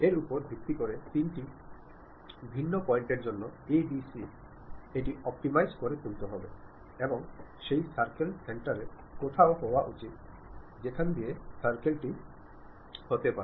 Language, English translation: Bengali, Based on that a, b, c for three different points, it optimizes and provides what should be the center of that circle where exactly circle has to pass